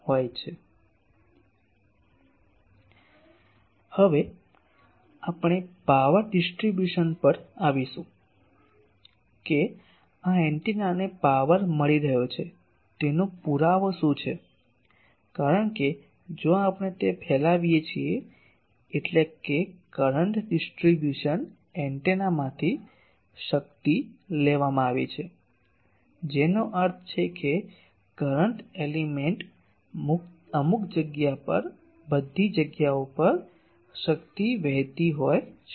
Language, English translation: Gujarati, Now, we will come to the power distribution that, what is the proof that this antenna is getting power because if we it is radiating means power is taken from the current distribution antenna that means, current element to some space, to all the places the power is flowing